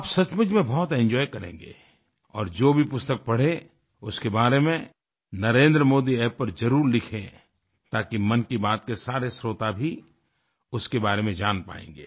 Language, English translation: Hindi, You will really enjoy it a lot and do write about whichever book you read on the NarendraModi App so that all the listeners of Mann Ki Baat' also get to know about it